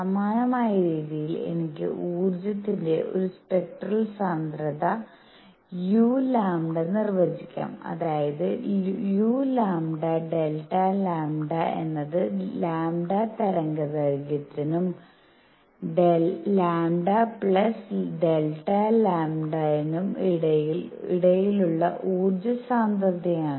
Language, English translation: Malayalam, In the similar manner I can define a spectral density of energy which is u lambda such that u lambda delta lambda is the energy density between wavelength lambda and lambda plus delta lambda